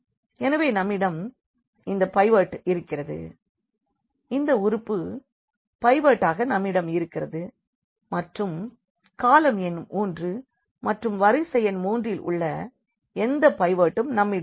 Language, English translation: Tamil, So, what we have we have this pivot here, we have this element as pivot and now going to the column number 3 or the row number 3 we do not have any pivot